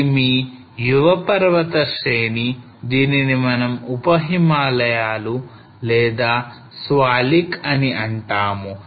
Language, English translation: Telugu, And this is your youngest mountain change which we say sub Himalayas or Swalik